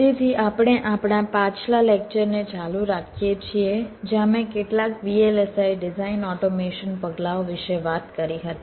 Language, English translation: Gujarati, so we continue with our this previous lecture where i talked about some of the vlsi design automation steps